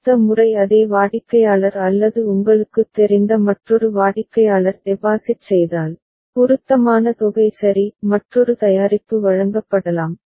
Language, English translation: Tamil, so that next time the same customer or another customer deposits you know, appropriate amount of money ok; another product can be delivered